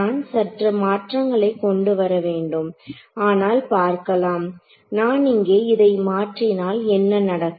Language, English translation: Tamil, So some change I will have to make over here, but let us see if I substitute this in here what happens